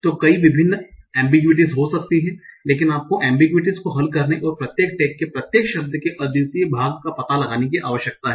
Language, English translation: Hindi, So there may be various ambiguities but you need to resolve the ambiguities and find out the unique participies tag for each of the words